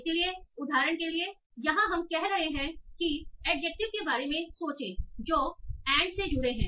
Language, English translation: Hindi, So for example, here we are saying, think of the adjectives that are joined by ant